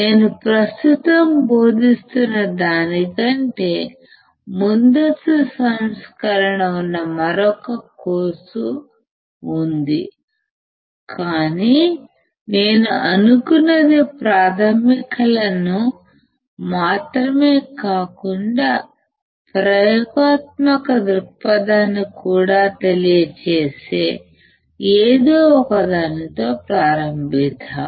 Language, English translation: Telugu, There is another course which is advance version than what I am teaching right now, but what I thought is let us start with something which covers not only basics, but also covers the experiment point of view